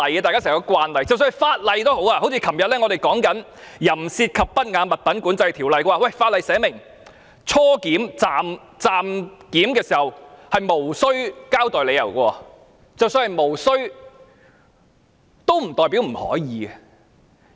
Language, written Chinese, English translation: Cantonese, 即使我們昨天討論《淫褻及不雅物品管制條例》，有條文訂明在初檢、暫檢時，無須交代理由，但無須不代表不可以。, When we discussed the provisions in the Control of Obscene and Indecent Articles Ordinance yesterday we learnt that it was not necessary to give any reason for any interim classification but that does not mean explanation cannot be provided